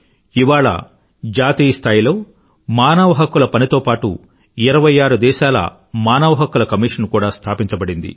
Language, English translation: Telugu, Today, with NHRC operating at the national level, 26 State Human Rights Commissions have also been constituted